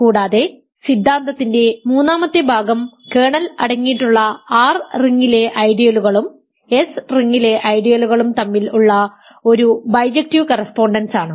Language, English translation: Malayalam, And the third part of the theorem was we had a bijective correspondence between ideals in the ring R that contain the kernel and ideals in the ring S ok